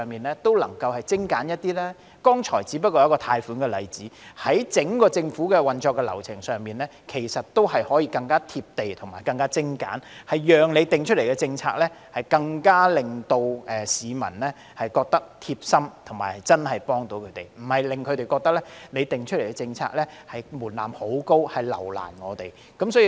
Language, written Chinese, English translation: Cantonese, 我剛才所舉出的只是關乎貸款的例子，事實上，整個政府的運作流程可更貼地、更精簡，讓市民對政府訂定的政策感到貼心，並覺得真的有所幫助，而非讓他們感到，政府設定高的政策門檻，目的是留難他們。, The example I have just cited is only about loan application . Actually the entire government operation can be more down to earth and streamlined so as to enable people to feel that the policies formulated by the Government are thoughtful and genuinely helpful to them rather than giving them the impression that the Government intends to make things difficult for them by setting a high policy threshold